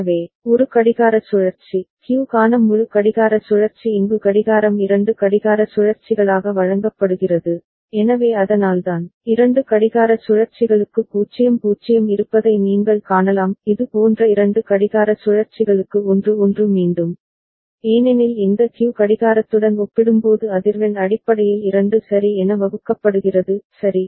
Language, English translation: Tamil, So, one clock cycle, full clock cycle for Q which is fed here as clock is two clock cycles over there, so that is why, you can see 0 0 is there for two clock cycles; and 1 1 again for two clock cycles like this ok, because this Q is a divided by 2 ok, in terms of the frequency compared to clock right